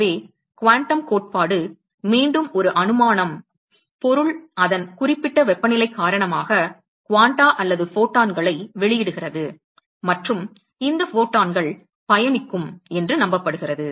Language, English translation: Tamil, So, the quantum theory, again it is a postulation, it is believed that the object because of its certain temperature it emits quanta or photons and these photons will travel